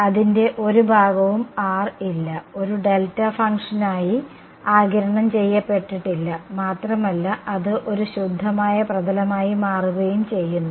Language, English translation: Malayalam, There is no the rho part of it has been absorbed as a delta function and it is become a pure surface that ok